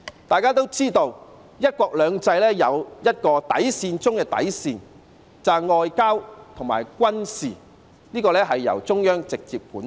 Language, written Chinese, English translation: Cantonese, 大家也知道"一國兩制"有一個底線中的底線，便是外交和軍事由中央直接管轄。, We all know that one country two systems has a most important bottom line and that is diplomatic and military affairs are under the direct control of the Central Authorities